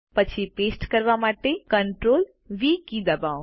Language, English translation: Gujarati, To paste, press CTRL and V keys together